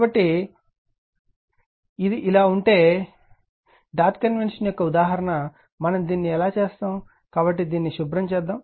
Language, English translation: Telugu, So, if it is so that is illustration of dot convention that how we will do it right so let me clear it